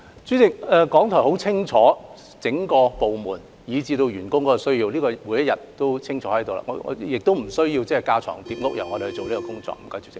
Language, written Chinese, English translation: Cantonese, 主席，港台很清楚整個部門以至員工的日常需要，不需要政府架床疊屋去做這項工作。, President RTHK clearly knows the daily needs of the entire department and its staff and there is no need for the Government to do this task superfluously